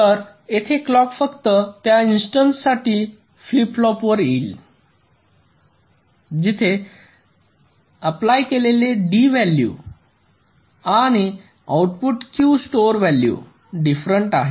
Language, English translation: Marathi, so here the clock will be coming to the flip flop only for those instances where the applied d value and the output q stored value are different